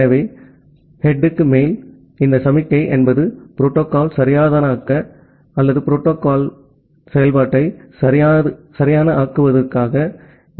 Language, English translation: Tamil, So, this signaling over head is something like this to make the protocol correct or to make the operation of the protocol correct